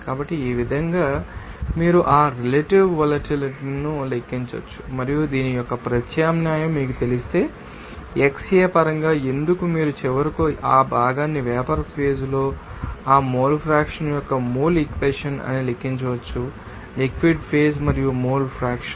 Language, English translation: Telugu, So, in this way also you can you know calculate that relative volatility and if you know that substitute that value of this you know why in terms of you know xA then you can finally calculate that part should be that or mole equation of that mole fraction in the vapor phase in terms of you know that liquid phase comes mole fraction